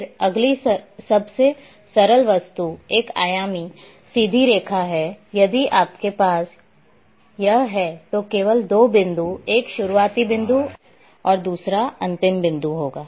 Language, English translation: Hindi, Then line a next simplest object is the one dimensional straight line if you are having then only two points begin point end point